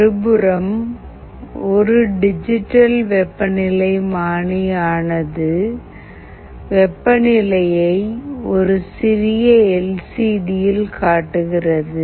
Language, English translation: Tamil, In a digital thermometer, the temperature is displayed on a tiny LCD